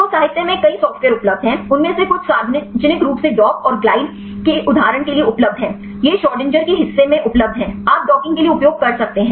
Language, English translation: Hindi, So, there are several software available in the literature; there is some of them are publicly available for example, of dock and the glide; this is available in the part of Schrodinger, you can use for the docking